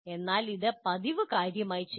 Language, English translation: Malayalam, But it should be done as a matter of routine